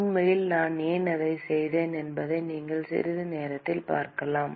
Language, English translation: Tamil, In fact, you will see in a short while why I did that